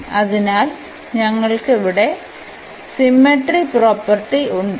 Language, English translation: Malayalam, So, we have the symmetry property here